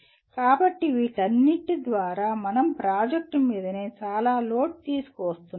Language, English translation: Telugu, So through all this we are bringing lot of load on the project itself